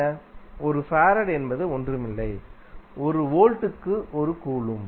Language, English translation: Tamil, 1 farad is nothing but, 1 Coulomb per Volt